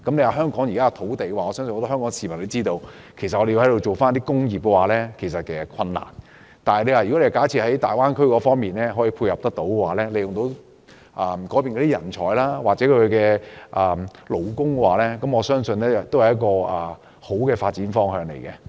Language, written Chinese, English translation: Cantonese, 我相信很多香港市民都知道基於土地問題，香港要發展工業是困難的，如果大灣區可以配合，利用那裏的人才和勞工，我相信會是一個好的發展方向。, I believe many Hong Kong people are aware of the difficulty in developing industry in Hong Kong due to shortage of land . If the Greater Bay Area can play a part here with its talents and labour force it will be a good direction for development